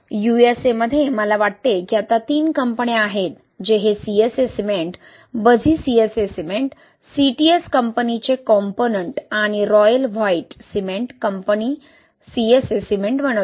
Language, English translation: Marathi, In USA, I think there are three companies now which make this CSA cement Buzzi CSA cement, Komponent by CTS company and the Royal White cement company makes CSA cement